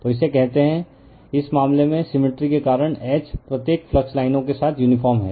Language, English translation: Hindi, Now, in this case because of symmetry H is uniform along each flux line